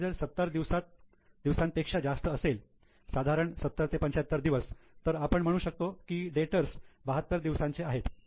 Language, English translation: Marathi, If it is more than 70 days, around 70 to 75 days, roughly 72 days you can say is the daters